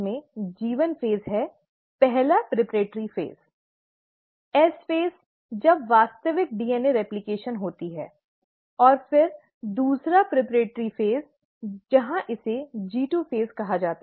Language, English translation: Hindi, Interphase inturn has the G1 phase, the first preparatory phase, the S phase, when the actual DNA replication happens, and then the second preparatory step, where it is called as the G2 phase